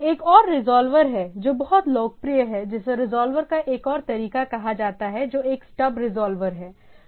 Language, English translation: Hindi, There is another resolver, which is pretty popular that is a called another way of resolver that is a stub resolver